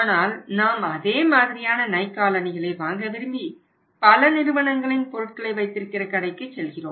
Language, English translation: Tamil, But when you want to buy the same to same Nike shoes from a store which keeps the product of multiple companies are different companies